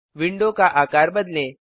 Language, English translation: Hindi, Let me resize the window